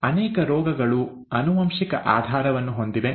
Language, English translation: Kannada, Many diseases have a genetic basis